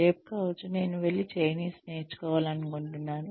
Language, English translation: Telugu, May be tomorrow, I want to go and learn Chinese